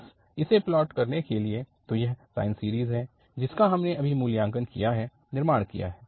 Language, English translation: Hindi, Just to plot this, so this is the sine series we have just evaluated, constructed